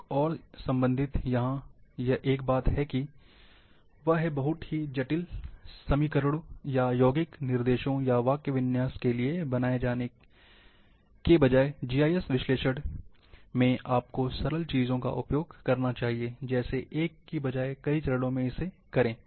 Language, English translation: Hindi, Another related thing is here, that instead of going for very complicated equations, or compound instructions, or syntax in GIS analysis, go for simple,one may be in multiple steps